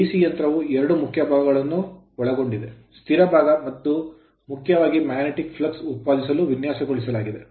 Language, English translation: Kannada, Next is so DC machine consists of two main parts, stationary part it is designed mainly for producing magnetic flux right